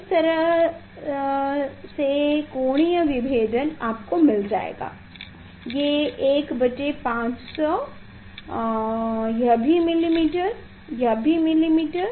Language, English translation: Hindi, angle regulation in this case you will get 1 by 500 this also millimeter, this also millimeter